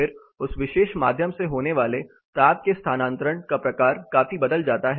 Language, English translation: Hindi, Then the type of heat transfer happening through that particular medium considerably varies